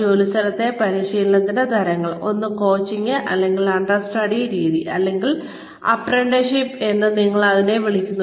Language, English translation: Malayalam, Types of on the job training is, one is the coaching or understudy method, or apprenticeship, as we call it